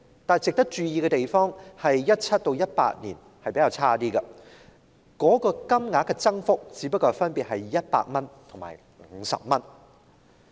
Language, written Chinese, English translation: Cantonese, 但值得注意之處是2017年和2018年的增幅稍遜，分別只有100元和50元。, But it is worth noting that the increases were smaller in 2017 and 2018 only amounting to 100 and 50 respectively